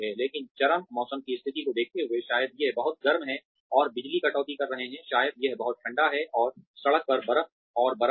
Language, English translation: Hindi, But, considering the extreme weather conditions, maybe it is too hot, and there are power cuts, maybe it is too cold, and there is ice and snow on the road